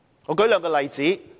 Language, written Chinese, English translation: Cantonese, 我舉兩個例子。, Let me cite two examples